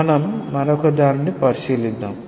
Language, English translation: Telugu, Let us consider another one